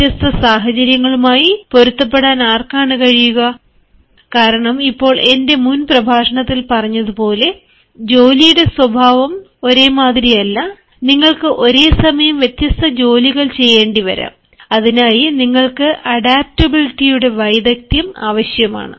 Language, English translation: Malayalam, and because nowadays the nature of work, as i said in my previous lecture is not one you may have to do different tasks at the same time, and for that you need to have the requisite skill of adaptability